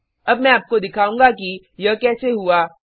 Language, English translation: Hindi, Now I will show you how this is done